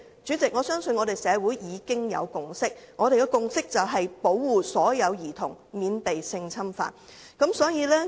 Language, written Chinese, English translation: Cantonese, 主席，我相信社會已有共識，便是保護所有兒童免被性侵犯。, President I believe there is already a consensus in society to protect children from sexual abuse